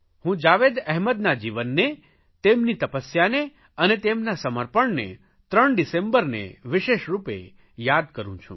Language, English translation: Gujarati, I especially remember the life of Jawed Ahmed, his dedication and devotion especially on every 3rd December